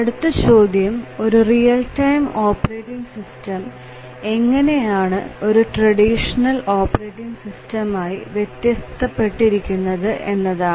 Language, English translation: Malayalam, So, the next question is that what is the role of the real time operating system in these real time systems